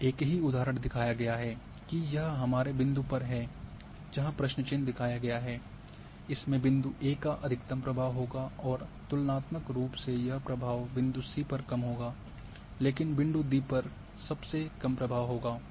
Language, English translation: Hindi, Same here the example is shown that it at our point for where the question mark is shown here it will have the maximum influence of point A and comparatively it will have less influence point C, but point D will have the least influence